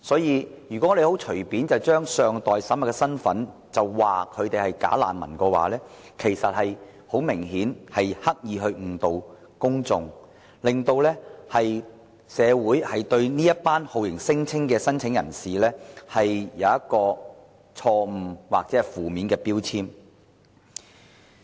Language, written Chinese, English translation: Cantonese, 如果我們隨便把這些身份尚待審核的人說成是"假難民"的話，其實很明顯是刻意誤導公眾，令社會對這群酷刑聲請人有錯誤或負面標籤。, If we casually describe these people with unverified identity as bogus refugees it is obviously that we intend to mislead the public and create a false or negative label on this group of torture claimants